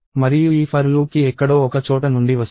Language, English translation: Telugu, And for this for loop it is running from somewhere